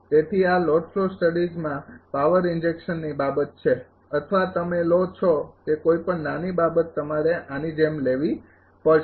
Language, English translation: Gujarati, So, this is the concept of power injection in the load flow studies or in a small thing you take you have to take like this